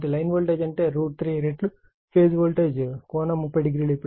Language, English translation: Telugu, So, line voltage means is equal to root 3 times phase voltage angle 30 degree